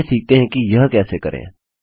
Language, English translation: Hindi, Let us learn how to do it